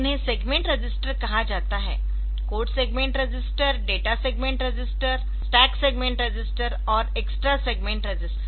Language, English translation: Hindi, So, code segment register, data segment register, stack segment register and extra segment register